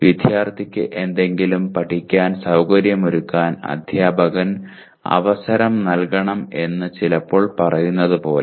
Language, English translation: Malayalam, Like sometimes saying the teacher should like facilitate the student to learn something